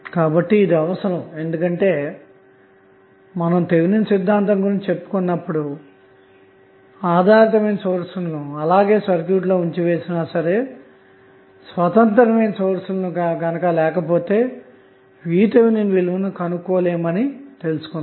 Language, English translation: Telugu, So, this is required because when we discussed the Thevenin theorem and we discussed dependent sources we stabilized that if you do not have independent source then you cannot determine the value of V Th